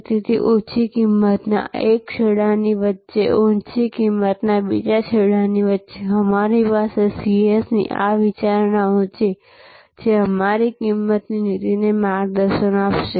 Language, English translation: Gujarati, So, between this one end of low price, another end of high price, we have this considerations of the three C’S, which will guide our pricing policy